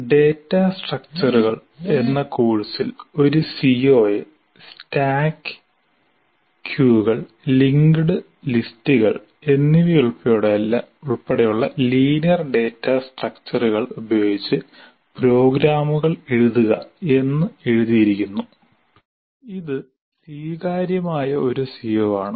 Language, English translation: Malayalam, In the course on data structures, one CBO is written as write programs using linear data structures including stack, use, and link list, which is an acceptable CO